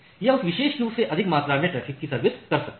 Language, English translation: Hindi, So, it can serve more amount of traffic from that particular queuing